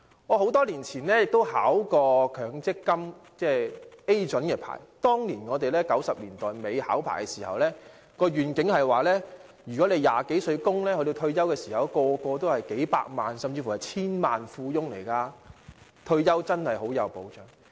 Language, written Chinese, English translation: Cantonese, 我在多年前曾考取強積金中介人牌照，當年1990年代末考牌時的願景是，如果20多歲開始供款，到退休時，所有人也會擁有數百萬元，甚至會成為千萬富翁，退休確實有保障。, Years ago I obtained the qualification to become a licensed MPF Intermediary and back in the late 1990s when I sit for the licensing examination the vision then was that a person who started to make contributions in his twenties would have accumulated several million dollars or even become a billionaire upon retirement meaning that his retirement would definitely be assured of protection